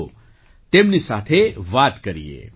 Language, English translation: Gujarati, Let's speak to her